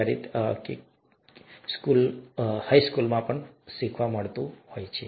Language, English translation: Gujarati, Which is again learnt sometime in high school